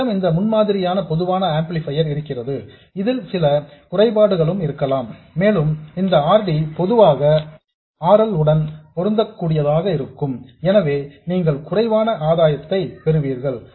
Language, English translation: Tamil, When we have this prototype common source amplifier, we have to live with this shortcoming and this RD usually will end up being comparable to RL, so you will have some reduction in gain